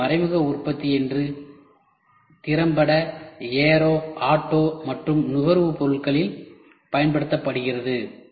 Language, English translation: Tamil, So, indirect manufacturing is effectively used today to aero, in auto and in consumable products